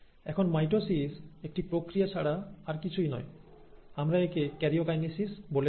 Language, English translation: Bengali, Now mitosis is nothing but also a stage which we also call as karyokinesis, right